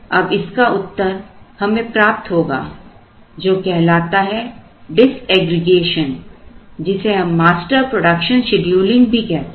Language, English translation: Hindi, Now, that is answered in what is called disaggregation sometimes called master production scheduling